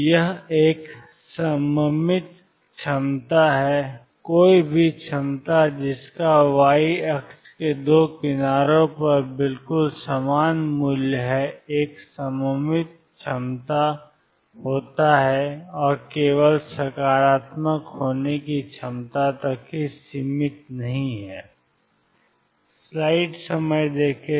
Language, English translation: Hindi, So, this is a symmetric potential any potential that has exactly the same value on 2 sides of the y axis is a symmetric potential and does not confine to potential being only positive